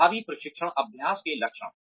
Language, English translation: Hindi, Characteristics of effective training practice